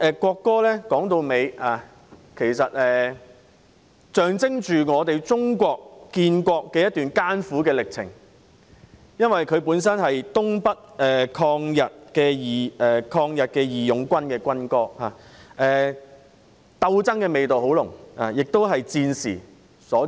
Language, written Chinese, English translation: Cantonese, 國歌象徵中國建國的一段艱苦歷程，本身是東北抗日義勇軍的軍歌，鬥爭味道很濃，亦是在戰時所作。, The national anthem signifies Chinas bitter process of nation building . As the military anthem of the Northeast Anti - Japanese Volunteer Army it was composed during wartime and exudes an aura of struggle